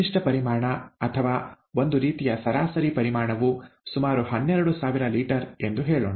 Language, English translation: Kannada, The typical volume, or let me say an average, kind of an average volume is about twelve thousand litres